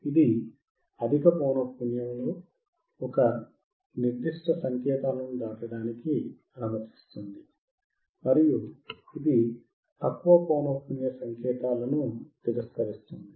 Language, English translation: Telugu, It will allow a certain set of signals at high frequency to pass and it will reject low frequency signals